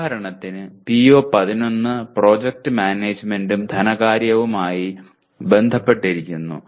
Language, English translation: Malayalam, For example PO11 is related to project management and finance